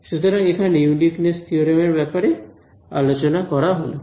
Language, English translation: Bengali, So, this was about the uniqueness theorem